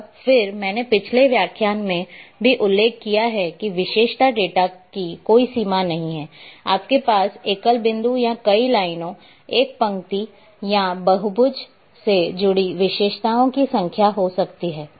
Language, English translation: Hindi, And they I have also mentioned in previous lecture that there is no limit for attributes data you can have n number of attributes associated with single point or many lines, one line or polygon